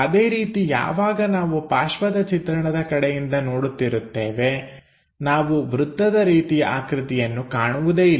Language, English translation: Kannada, Similarly, when we are looking from side view here we do not see anything like circle